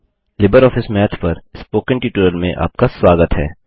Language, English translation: Hindi, Welcome to the Spoken tutorial on LibreOffice Math